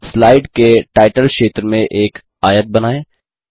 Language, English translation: Hindi, Lets draw a rectangle in the Title area of the slide